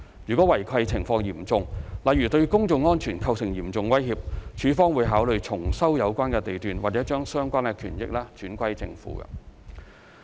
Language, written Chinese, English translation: Cantonese, 如違契情況嚴重，例如對公眾安全構成嚴重威脅，署方會考慮重收有關地段或把相關權益轉歸政府。, If the situation of the breach is serious for instance if it poses a serious threat to public safety LandsD will consider re - entry of the lot or vesting the relevant interest to Government